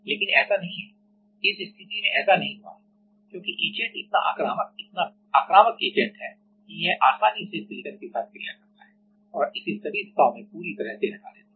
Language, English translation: Hindi, But, it is not it has not happened in this case because etchant is a such an aggressive such an aggressive agent that it easily reacts with silicon and completely etch it away in all the direction